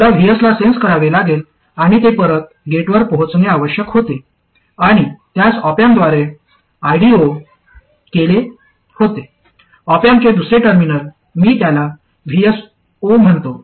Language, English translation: Marathi, I had to sense VS and feed it back to the gate and I do it through an off amp and the other terminal of the off amp I call Vs0